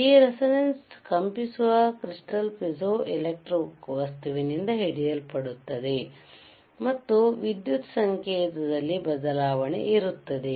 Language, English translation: Kannada, Tthis resonance will be caught by the vibrating crystal piezoelectric material, this material is piezoelectric and there will be change in the electrical signal